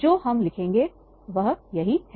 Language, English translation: Hindi, That why we are writing